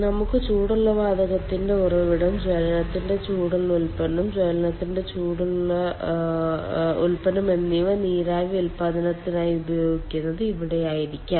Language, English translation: Malayalam, it could be there where we get a source of i mean, we have a source of hot ah gas, hot product of combustion, and that hot product of combustion is being used for steam generation